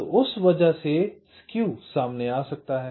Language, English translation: Hindi, so because of that skews might be introduced